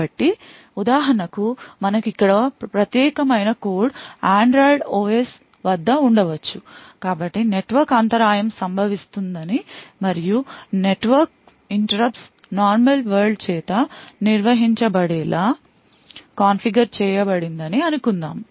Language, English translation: Telugu, So, for example we have privileged code over here could be at Android OS so let us say for example that a network interrupt occurs and a network interrupts are configured to be handle by the normal world